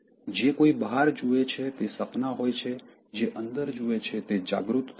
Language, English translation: Gujarati, Who looks outside, dreams; who looks inside, awakes